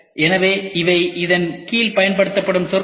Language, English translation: Tamil, So, these are the terminologies which are used under this